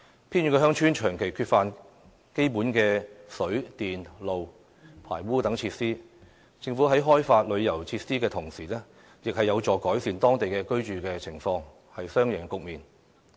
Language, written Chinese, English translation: Cantonese, 偏遠鄉村長期缺乏基本的水、電、路、排污等設施，而藉着政府在該等鄉村開發旅遊設施，當地居民的居住情況亦將獲得改善，締造雙贏局面。, Since water electricity roads sewage system and the like have been absent from those remote villages for ages the living condition of the villagers can be improved if the Government proceeds to build tourist facilities in those villages thus leading to a win - win situation